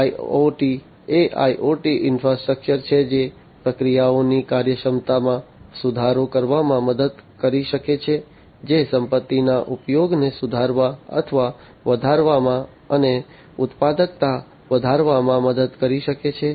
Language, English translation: Gujarati, IoT is IoT infrastructure can help in improving the efficiency of the processes can help in improving or enhancing the asset utilization, and increasing productivity